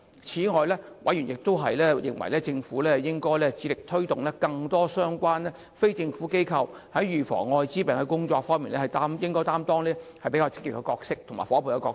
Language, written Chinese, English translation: Cantonese, 此外，委員認為，政府當局應致力推動更多相關非政府機構在防治愛滋病的工作方面，擔任積極的夥伴角色。, Besides members considered that the Administration should make efforts to engage more non - governmental organizations as active partners in the prevention of the Acquired Immune Deficiency Syndrome